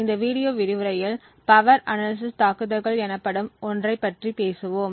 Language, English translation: Tamil, In this video lecture we will talk about something known as Power Analysis Attacks